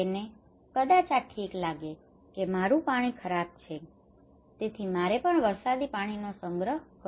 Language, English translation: Gujarati, He may think that okay, my water is bad so I should also opt for rainwater harvesting